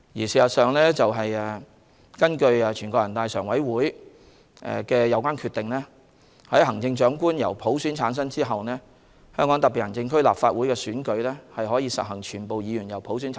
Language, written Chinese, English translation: Cantonese, 事實上，根據全國人民代表大會常務委員會的有關決定，在行政長官經普選產生後，香港特別行政區立法會亦可普選產生。, As a matter of fact according to the relevant decision made by the Standing Committee of the National Peoples Congress NPCSC after the election of the Chief Executive by universal suffrage the election of the Legislative Council of the Hong Kong Special Administrative Region may also be implemented by universal suffrage